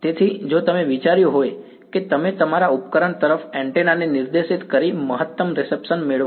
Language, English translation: Gujarati, So, if you thought that you would get maximum reception by pointing the antenna at your device